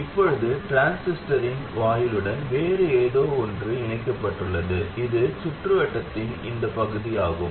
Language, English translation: Tamil, Now we have something else connected to the gate of the transistor that is this point, that is this part of the circuit